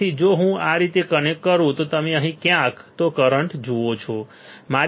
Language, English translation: Gujarati, So, if I connect if I connect like this you see either current here right